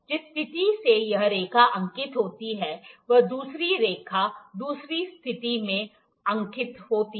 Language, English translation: Hindi, The line that is marked from this position, other line is marked from the other position